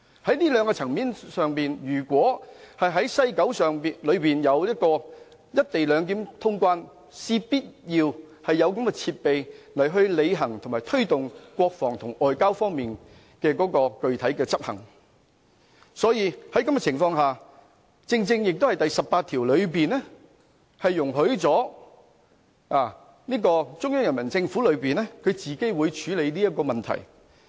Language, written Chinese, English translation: Cantonese, 在這兩個層面上，如果在西九有"一地兩檢"通關，我們必須有這樣的設備，履行及推動國防及外交方面具體執行的工作，這亦正正見於《基本法》第十八條，當中的條文容許中央人民政府自行處理這個問題。, So in connection with these two areas if the co - location arrangement is adopted in West Kowloon we must make available the relevant tools needed to fulfil and implement the specific tasks related to defence and foreign affairs . This is exactly covered under Article 18 of the Basic Law which stipulates that the Central Peoples Government can handle this question by itself